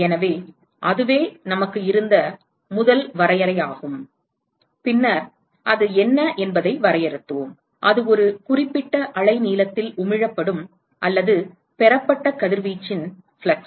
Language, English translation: Tamil, So, that is the first definition we had and then we defined what is the, that is the flux of radiation emitted or received etcetera at a certain wavelength